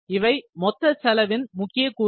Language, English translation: Tamil, So, these are the major components of the total cost